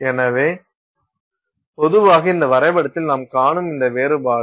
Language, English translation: Tamil, So, typically this difference that you are seeing in this plot here